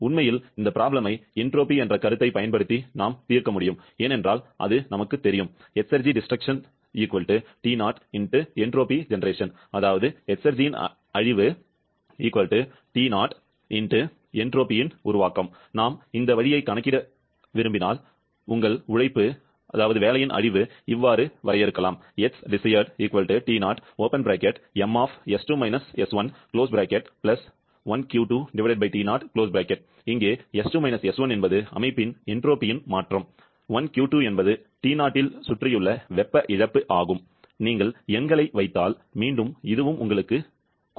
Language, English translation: Tamil, Actually, this problem we could have solved using the concept of entropy as well because we know that exergy destruction equal to T0 into entropy generation and if we want to calculate that way, your exergy destruction will be T0 * S generation and how much will be the entropy generation in this particular case; so that will be = T0 * s2 – s1, the change in entropy of the system plus the heat loss to the surrounding by T0